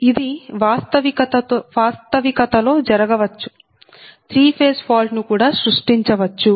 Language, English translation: Telugu, this, in reality, this also can happen, that this will create also three phase fault, right